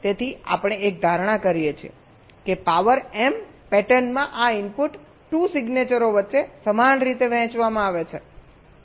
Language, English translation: Gujarati, so we make an assumption that this input, two to the power m patterns are uniformly distributed among the signatures